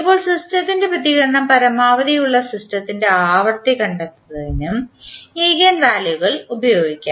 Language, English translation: Malayalam, Now, eigenvalues can also be used in finding the frequencies of the system where the system response is maximum